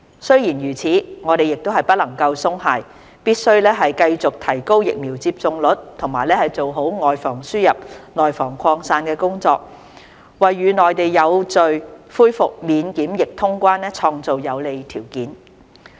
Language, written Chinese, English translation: Cantonese, 雖然如此，我們不能鬆懈，必須繼續提高疫苗接種率及做好"外防輸入、內防擴散"的工作，為與內地有序恢復免檢疫通關創造有利條件。, That said we cannot afford to let our guard down and must continue with our efforts in preventing the importation of cases and the spreading of the virus in the community as well as in raising our vaccination rate so as to foster favourable conditions to gradually resume quarantine - free travel with the Mainland